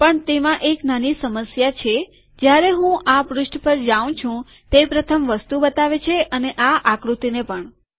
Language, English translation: Gujarati, But it has a small problem in that when I go to this page it shows the first item and also this figure